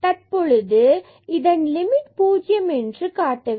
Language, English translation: Tamil, So, in this case there is no problem to get this limit as 0